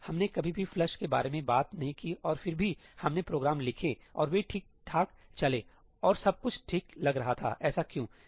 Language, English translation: Hindi, We never talked about ëflushí and still we wrote programs and they ran fine and everything seemed to work fine why is that